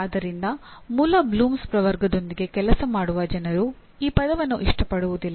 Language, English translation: Kannada, So people who work with original Bloom’s taxonomy, they do not like this word